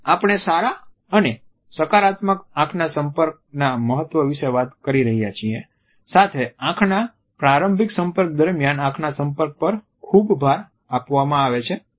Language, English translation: Gujarati, We have been talking about the significance of good and positive eye contact, but a too much emphasis on eye contact during initial contact etcetera